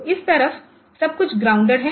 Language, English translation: Hindi, So, this side everything is grounded